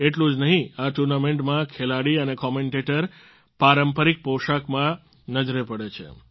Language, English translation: Gujarati, Not only this, in this tournament, players and commentators are seen in the traditional attire